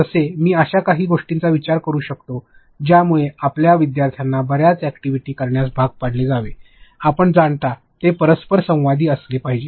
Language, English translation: Marathi, Like I can think of one that make your learners do lot of activities, you know it will be as you said it should be interactive